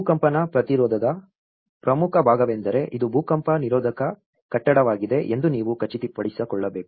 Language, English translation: Kannada, The most important part in earthquake resistance is you have to ensure that this is going to be an earthquake resistant building